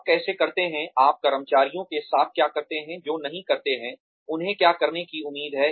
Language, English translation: Hindi, How do you, what do you do with employees, who do not do, what they are expected to do